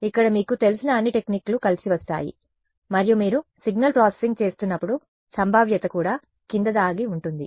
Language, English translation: Telugu, Here all the techniques that come together you know and when you are doing signal processing there is probability hiding underneath also right